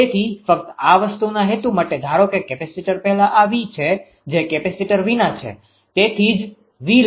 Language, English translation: Gujarati, So, just for the purpose of this thing suppose before capacity this is V is the that without capacitor that is why writing V, suppose it was 0